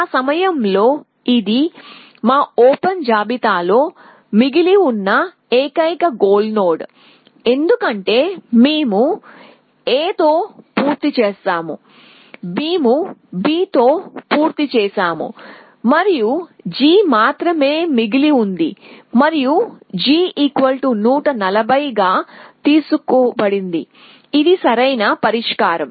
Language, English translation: Telugu, And at that time this is the only goal only door left in our open list because we have finished with A, we have finished with B both and only g is left and g will be picked with the cost of 140 which is the optimal solution